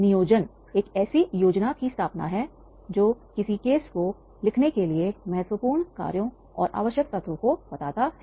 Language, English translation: Hindi, Planning is the establishment of a scheme that lays out the important actions and the essential elements in writing a case